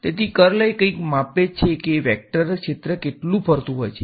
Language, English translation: Gujarati, So, the curl is something that measures how much a vector field is swirling